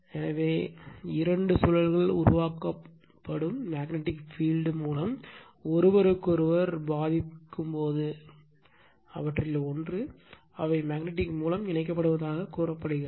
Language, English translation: Tamil, So, when two loops with or without contact between them affect each other through the magnetic field generated by one of them, they are said to be magnetically coupled right